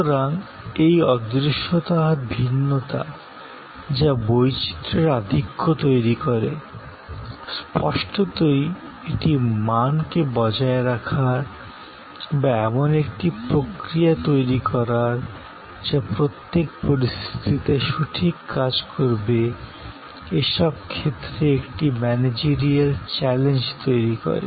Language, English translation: Bengali, So, this intangibility and heterogeneity, which creates a plethora of variances; obviously, it creates a managerial challenge of maintaining standards, of creating processes that will hold good under difference situations